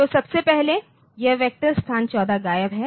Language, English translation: Hindi, So, first of all this vector location 14 is missing